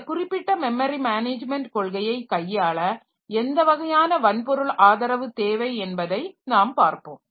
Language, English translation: Tamil, So, we'll see that what sort of hardware support that may be needed for handling this particular type of memory management policy